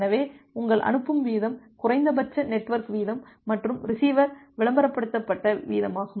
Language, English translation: Tamil, So, ideally your sending rate was minimum of network rate and receiver advertised rate